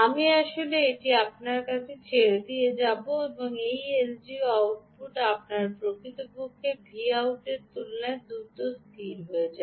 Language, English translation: Bengali, i will leave it to you to actually show that l d o output settles down faster compared to this actual v out